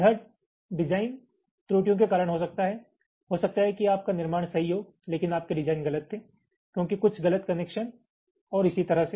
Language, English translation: Hindi, maybe your fabrication is perfect, but your design was wrong, because of some incorrect connections and so on